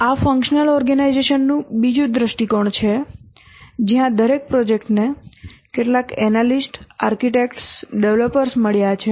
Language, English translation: Gujarati, This is another view of the functional organization where each project has got some analysts, architects, developers, and they have two reporting